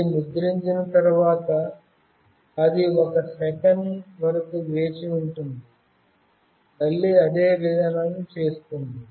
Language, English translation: Telugu, After it gets printed it will wait for 1 second, and again it will do the same process